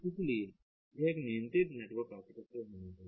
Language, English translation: Hindi, so there has to be a governing network architecture